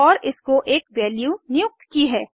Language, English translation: Hindi, And I have assigned a value to it